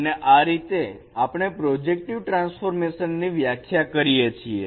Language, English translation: Gujarati, And this is how we denote a projective transformation